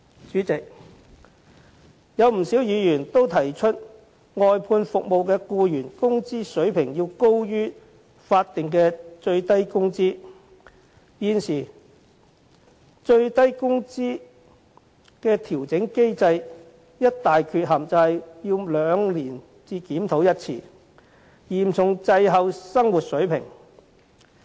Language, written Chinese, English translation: Cantonese, 主席，不少議員也提出外判服務的僱員工資水平應高於法定最低工資，現時最低工資調整機制的一大缺陷是每兩年才檢討一次，嚴重滯後於生活水平。, President quite a large number of Members have said that the wage level of employees of outsourced services should be higher than the statutory minimum wage . A major drawback of the existing minimum wage adjustment mechanism is that a review is conducted only biennially causing the wage level to seriously lag behind the standard of living